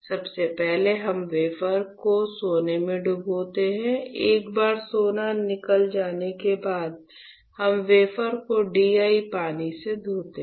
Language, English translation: Hindi, So, first we dip the wafer in gold etchant; once the gold is etched, we rinse the wafer with DI water